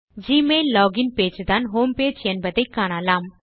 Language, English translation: Tamil, You will notice that the Gmail login page is the homepage